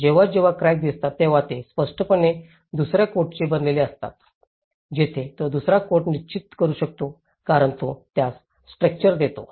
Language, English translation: Marathi, So, when the cracks have appeared obviously they are made of a second coat that is where it can fix the second coat because it gives a texture for it